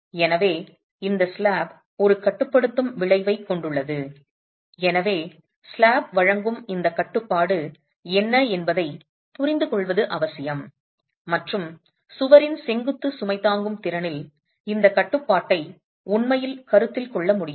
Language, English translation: Tamil, So, this slab has a restraining effect and it's essential therefore to be able to understand what is this restraint offered by the slab and can this restraint actually be considered in the vertical load carrying capacity of the wall itself